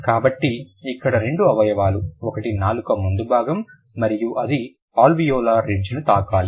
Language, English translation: Telugu, One is the front part of the tongue and it must touch the alveolar ridge